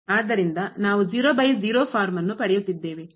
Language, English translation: Kannada, So, we are getting by form